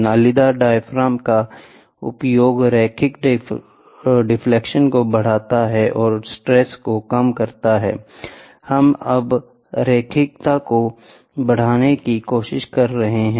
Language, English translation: Hindi, Use of corrugated diaphragm increases the linear deflection and reduces the stresses, ok, we are now trying to play or increase the linearity